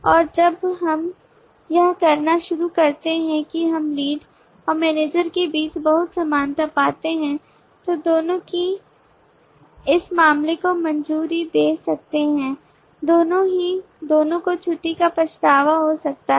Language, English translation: Hindi, and when we start doing that we do find a lot of commonality between the lead and the manager both of them can for that matter approve leave, both of them can regret leave and so on